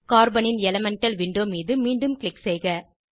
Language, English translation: Tamil, Click again on the Elemental window of Carbon